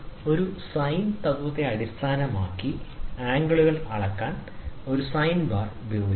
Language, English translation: Malayalam, A sine bar is used to measure the angles based on a sine principle